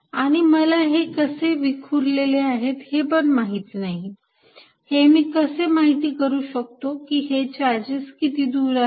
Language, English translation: Marathi, And I do not know what this distribution is, if I do not know what this distribution is how do I figure out, how far are the charges